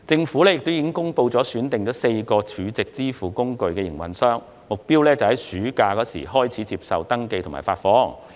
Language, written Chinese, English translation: Cantonese, 此外，政府公布已選定4間儲值支付工具營運商，目標在暑假期間開始接受登記及發放。, Moreover the Government has announced that four stored value facility operators have been selected with the target of commencing registration and payment in this summer vacation